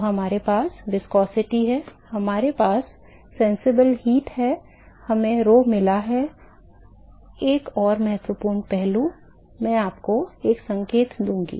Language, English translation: Hindi, So, we have got viscosity, we have got sensible heat we have got rho, another important aspect I will give you a hint